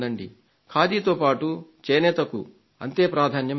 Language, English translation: Telugu, Along with Khadi, handloom must also be given equal importance